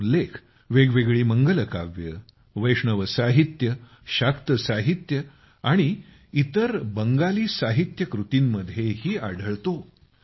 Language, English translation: Marathi, It finds mention in various Mangalakavya, Vaishnava literature, Shakta literature and other Bangla literary works